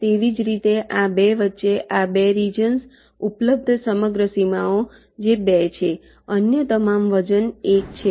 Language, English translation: Gujarati, similarly, between these two, these two region, the whole boundaries available, that is two others are all weight one